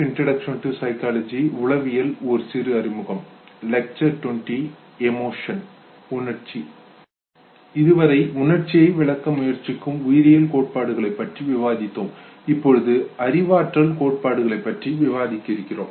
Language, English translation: Tamil, Now that we have discussed the biological theories trying to explain emotion, we are not going to talk about the cognitive theories know